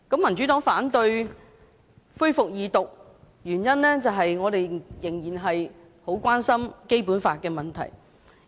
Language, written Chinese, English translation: Cantonese, 民主黨反對恢復二讀，原因是我們仍然很關心有關《基本法》的問題。, The Democratic Party opposes the resumed Second Reading on the ground that we still feel concerned about the issues related to the Basic Law